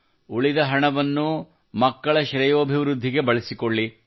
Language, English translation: Kannada, The money that is saved, use it for the betterment of the children